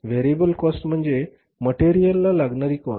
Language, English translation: Marathi, Variable cost is called as the marginal cost also